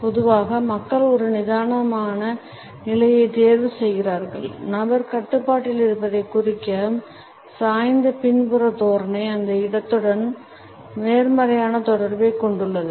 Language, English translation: Tamil, Normally people opt for a relax position, a leaned back posture which indicates that the person is in control, has a positive association with the place